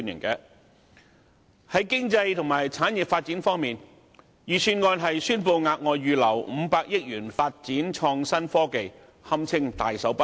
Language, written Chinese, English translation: Cantonese, 在經濟和產業發展方面，預算案宣布額外預留500億元發展創新科技，堪稱"大手筆"。, On economic and industrial development the Budget can be described as very generous in setting aside an additional 50 billion for the development of innovation and technology